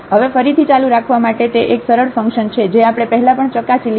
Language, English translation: Gujarati, Now for the continuity again it is a simple function we have already tested before